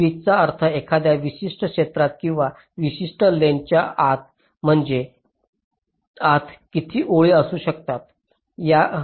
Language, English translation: Marathi, pitch means in a particular ah area or within a particular length means how many lines you can draw